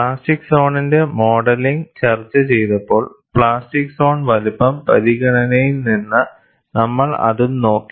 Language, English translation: Malayalam, When we discussed modeling of plastic zone, we looked at from the plastic zone size consideration